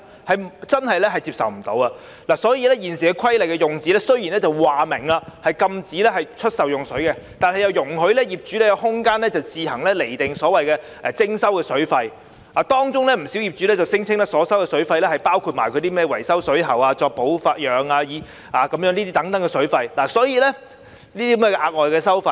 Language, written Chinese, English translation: Cantonese, 雖然現時《水務設施規例》明文訂明禁止出售用水，但卻容許業主有空間自行釐定徵收的水費，當中有不少業主便聲稱自己所收的水費包括維修水喉、保養等額外收費。, While the existing Waterworks Regulations have expressly prohibited the sale of water landlords are permitted to have discretion over the determination of water fees imposed on their tenants . Many landlords have claimed that the water fees collected by them include other expenses such as those for plumbing repair and maintenance